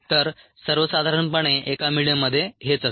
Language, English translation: Marathi, so this is what a medium in general contains